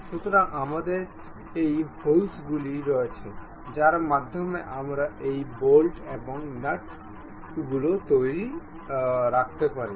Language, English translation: Bengali, So, we have these holes through which we can really put these bolts and nuts